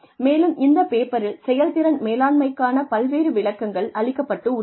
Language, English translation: Tamil, And, in this paper, various definitions of performance management have been proposed